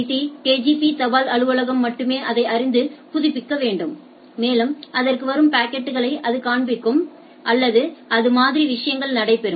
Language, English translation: Tamil, It is only the IIT KGP post office needs to know and update it and all the packets comes to its and it gets displayed or type of things